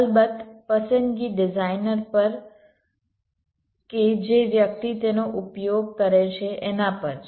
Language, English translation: Gujarati, of course, the choices up to the designer or the person uses it